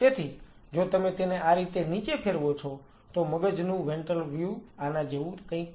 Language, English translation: Gujarati, So, if you roll it down like that, the ventral view is something like this of the brain